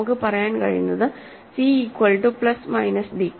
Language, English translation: Malayalam, So, I am only going to use that c is equal to plus minus i d